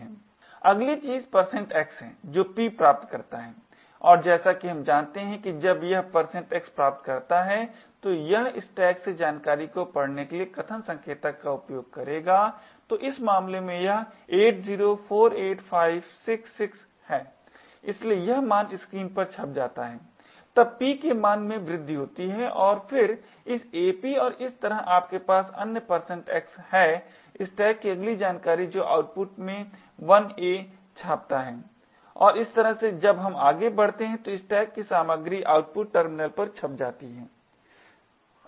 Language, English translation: Hindi, when it obtains a % x it would use the argument pointer to read the contents from the stack so in this case it is 8048566 so this value gets printed on the screen then p increments and so this ap and thus in a very similar ways since you have other percent x here the next content of the stack that is 1a gets printed in the output and this way as we proceed the contents of the stack gets printed on the output terminal